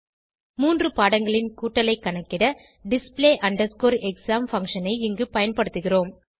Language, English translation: Tamil, Here, we are using display exam function to calculate the total of three subjects